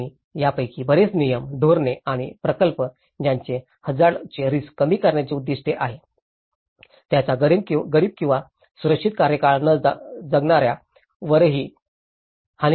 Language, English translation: Marathi, And many of these regulations, policies or projects that aim to reduce risk to hazards can also have detrimental impacts on poor or those living without secured tenure